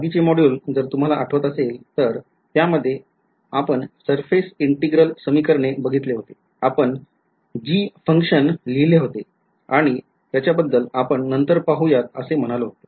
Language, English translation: Marathi, If you remember in the previous modules, we looked at the surface integral equations, we kept writing a g a function g and we said that we will worry about it later, now is when we worry about it right